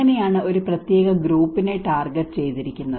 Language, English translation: Malayalam, So that is where it has given a particular group has been targeted